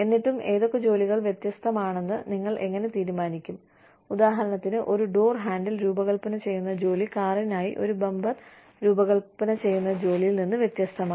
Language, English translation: Malayalam, But still, so you know, how do you decide, which jobs are, how the job of designing, a door handle, for example, is different from, the job of designing a bumper, for the car